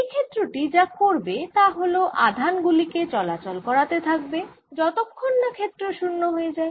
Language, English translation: Bengali, if there is, field is going to move charges until the field becomes zero